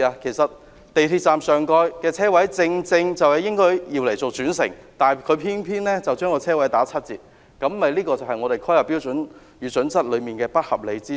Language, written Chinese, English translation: Cantonese, 港鐵站上蓋的車位正應該用作轉乘，但《香港規劃標準與準則》偏偏將車位數目打七折，這便是其一個不合理之處。, The parking spaces for the residential development above the MTR station should be used for park - and - ride but HKPSG stipulates that the number should be discounted by 30 % . This is one of the areas where unreasonable requirements are imposed